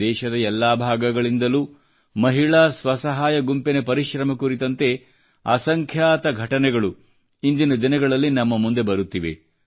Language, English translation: Kannada, Numerous stories of perseverance of women's self help groups are coming to the fore from all corners of the country